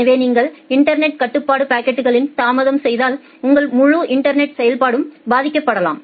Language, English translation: Tamil, So, if you make a delay in the network control packets your entire network operation may get affected